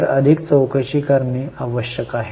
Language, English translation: Marathi, So one needs to investigate more